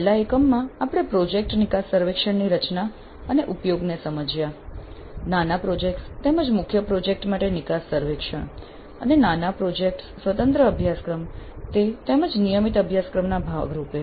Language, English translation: Gujarati, In the last unit we understood the design and use of project exit surveys, exit surveys for mini projects as well as the major main project and mini projects both as independent courses as well as a part of a regular course